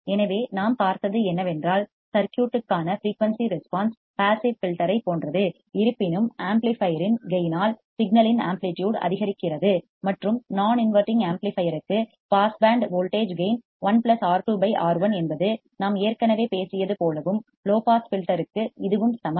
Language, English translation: Tamil, So, what we have seen is the frequency response of the circuit is same as that of the passive filter; however, the amplitude of signal is increased by the gain of the amplifier and for a non inverting amplifier the pass band voltage gain is 1 plus R 2 by R 1 as we already talked about and that is the same for the low pass filter